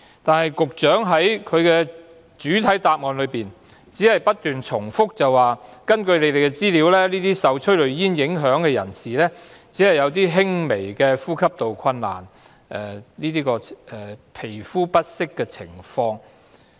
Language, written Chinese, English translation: Cantonese, 然而，局長在主體答覆只不斷重複指出，根據局方資料，受催淚煙影響的人士只會出現輕微的呼吸困難和皮膚不適的情況。, However in the main reply the Secretary keeps repeating that according to the information of the Bureau persons exposed to tear gas would only experience mild respiratory and skin irritation